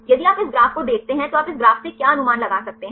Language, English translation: Hindi, If you see this graph what you can infer from this graph